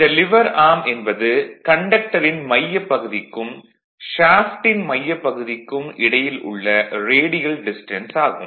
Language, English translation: Tamil, Therefore there is the radial distance from the centre of the conductor to the centre of the shaft